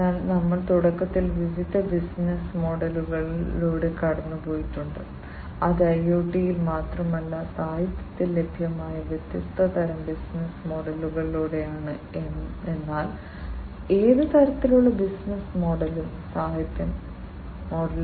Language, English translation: Malayalam, So, we have initially we have gone through the different business models, that are available and the different types of business model, that are available in the literature not just IoT, but any kind of business model the different types of it that are available in the literature